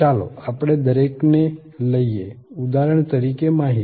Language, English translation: Gujarati, Let us take each one, like for example information